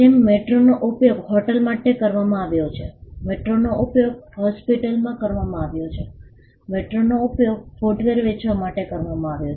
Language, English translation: Gujarati, Like metro has been used for hotels, metro has been used for hospitals, metro has been used for selling footwear